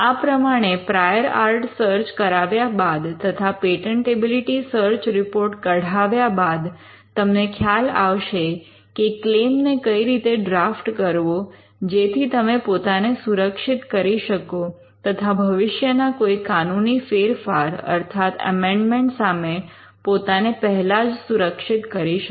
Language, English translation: Gujarati, Now by performing a prior art search, and by generating a patentability search report, you would understand as to how to draft a claim in such a manner that you can protect yourself, or safeguard yourself from a future amendment